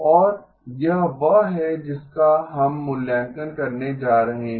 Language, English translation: Hindi, And this is what we are going to assess